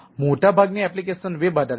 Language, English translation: Gujarati, right, most of the applications are web based